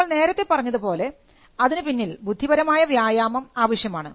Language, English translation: Malayalam, As we said there is intellectual effort involved in it